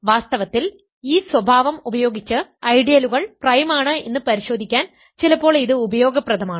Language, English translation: Malayalam, In fact, it is sometimes useful to verify that ideals are prime using this condition